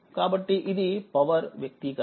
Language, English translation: Telugu, So, this is the power expression